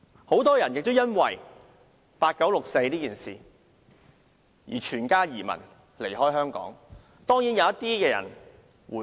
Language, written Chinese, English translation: Cantonese, 很多人因為八九六四這事而舉家移民，離開香港；當然，一些人其後回流。, Many people had emigrated with the whole family and left Hong Kong because of the 4 June incident in 1989 and of course some people returned later